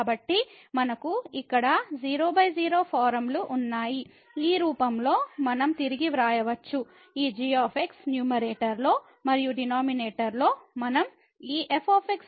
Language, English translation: Telugu, So, we have here 0 by 0 form we can also rewrite in this form that we keep this in the numerator and in the denominator we take this as 1 over